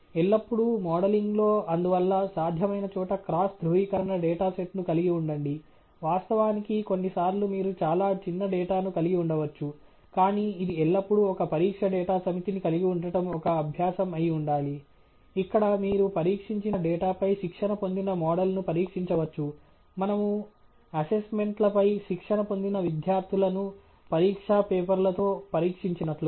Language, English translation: Telugu, Always, in modelling therefore, if where ever possible have a cross validation data set; of course, some times may have two smaller data, but it should always be a practice to have a test data set, where you can test the trained model on the test data pretty much like we test students, trained on assignments, on exam papers right